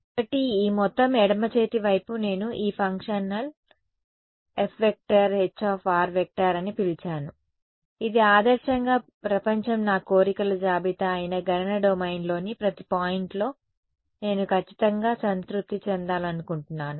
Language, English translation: Telugu, So, this entire left hand side I am I have called it this functional F H r which in the ideal world I would like to be satisfied exactly at every point in the computational domain that is my wish list